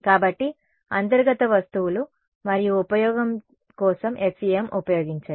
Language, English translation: Telugu, So, use FEM for the interior objects and use